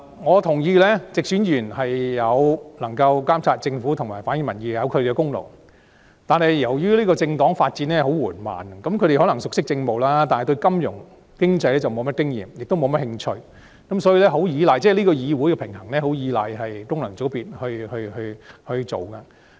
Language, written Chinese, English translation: Cantonese, 我認同直選議員在監察政府及反映民意方面有其功勞，但由於政黨發展緩慢，他們可能熟悉政務，但對金融經濟則毫無經驗，亦缺乏興趣，所以議會的平衡相當依賴功能界別的參與。, I appreciate the contribution of directly elected Members in monitoring the Government and reflecting public opinion . But given the slow development of political parties they may be well versed in political affairs with a total lack of experience and interest in financial and economic affairs . Hence the balance in the Council largely hinges on the participation of FCs